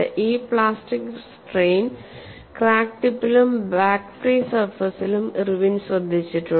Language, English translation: Malayalam, Irwin has taken care of this plastic strain at the crack tip as well as the back free surface